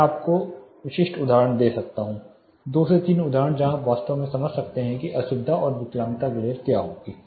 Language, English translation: Hindi, I can give you specific examples two to three examples where you can really understand what will be a discomfort and disability glare